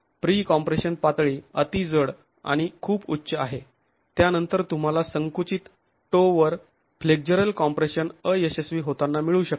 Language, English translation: Marathi, The pre compression levels are heavy or high, then you can get flexible compression failure at the compressed toe